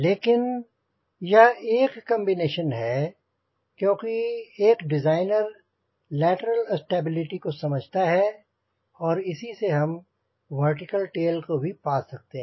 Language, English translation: Hindi, but then these are the combinations because we understand is the designer, lateral stability we can get from vertical tail also